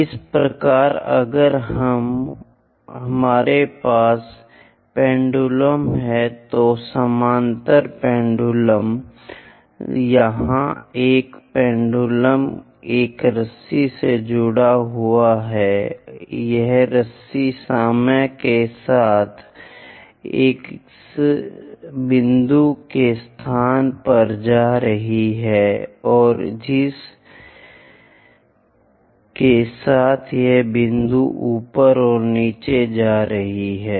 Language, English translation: Hindi, Similarly, if we have pendulums isochronous pendulums here a pendulum connected by a rope and this rope is going up the location of this point with time and the curve along which this point is going up and down